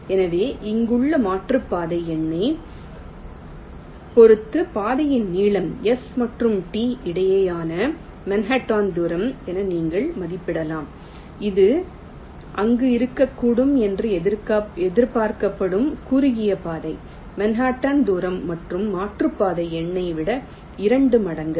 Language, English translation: Tamil, so that's why the length of the path with respect to the detour number, here you can estimate as the manhattan distance between s and t, which is the expected shortest path, which may not be there, that manhaatn distance plus twice the detour number